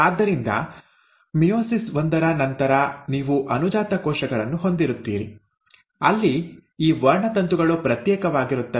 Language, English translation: Kannada, So after meiosis one, you will have daughter cells where these chromosomes would have segregated